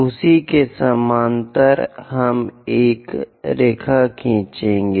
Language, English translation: Hindi, Parallel to that, we will draw a line